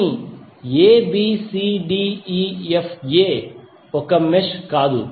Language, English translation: Telugu, But abcdefa is not a mesh